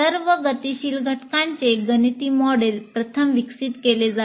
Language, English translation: Marathi, And mathematical models of all the dynamic elements are developed first